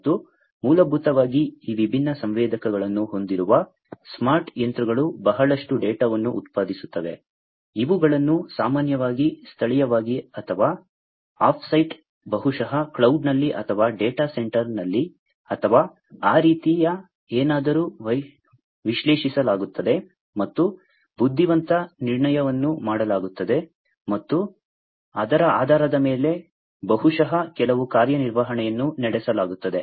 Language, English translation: Kannada, And the smart machines basically, which have these different sensors produce lot of data, which are typically analyzed either locally or, off site, maybe in a cloud or, in a data center or, something of that sort, and intelligent inferencing is made and based on which, maybe there is some actuation that is performed